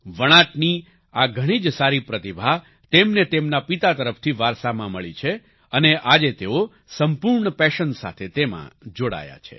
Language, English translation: Gujarati, He has inherited this wonderful talent of weaving from his father and today he is engaged in it with full passion